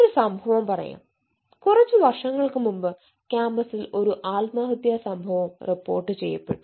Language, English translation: Malayalam, you know, few years back there was a suicide incidents reported in the campus